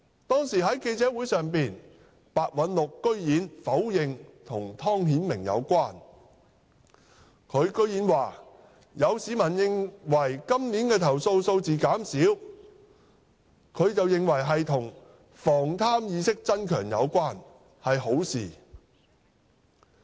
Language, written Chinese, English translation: Cantonese, 當時在記者會上白韞六居然否認與湯顯明有關，他竟然說"有市民認為今年的投訴數字減少可能與防貪意識增強有關，是好事"。, At a press conference back then Simon PEH outrageously denied that it was related to Timothy TONG . He went further to say to this effect Some people consider that a lower number of complaints recorded this year may be attributed to a stronger awareness of prevention of corruption which is a good thing